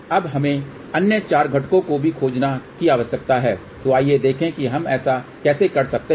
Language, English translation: Hindi, Now, we need to find other 4 components also, so let us see how we can do that